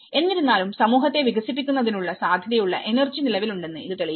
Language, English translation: Malayalam, Although, which proves that the potential energy for developing the community does exist